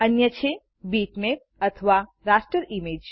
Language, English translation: Gujarati, The other is bitmap or the raster image